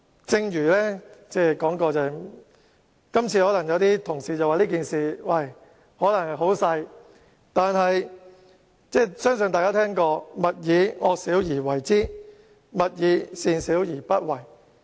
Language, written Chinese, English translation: Cantonese, 正如我剛才所說，雖然有同事認為這件事並不嚴重，但我相信大家也聽過"勿以惡小而為之，勿以善小而不為"。, As I said just now although some Honourable colleagues do not think this is a serious issue I believe Members must have heard of the following saying Do not think any vice trivial and so practise it; do not think any virtue trivial and so neglect it